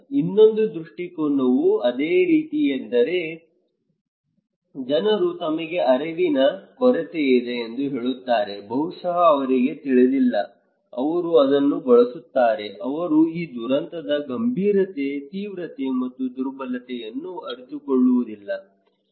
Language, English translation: Kannada, Another perspective is similar line that is people saying that they have lack of awareness, maybe they do not know, they used to it, they do not realise the seriousness, severity and vulnerability of this disaster